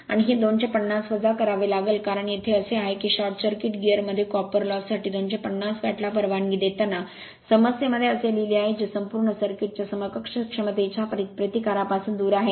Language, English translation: Marathi, And this 250 you have to subtract because here it is here it is written in the problem allowing 250 watt for the copper loss in the short circuiting gear which is excluded from the resist equivalent sorry resistance of the total circuit